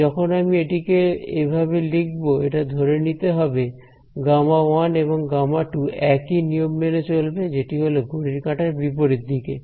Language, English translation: Bengali, So, when I write it in this way it is implicit that gamma 1 and gamma 2 follow the same convention which is counter clockwise ok